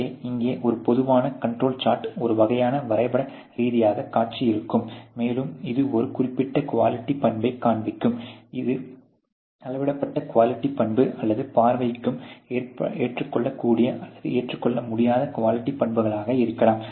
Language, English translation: Tamil, So, here a typical control chart would be a sort of a graphical display, and this would sort of display a certain quality characteristics which is either a measured quality characteristics or may be visually acceptable or unacceptable kind of a quality characteristics